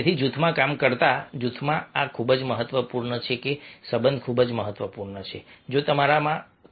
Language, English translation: Gujarati, so in a group working in a group, this is very, very important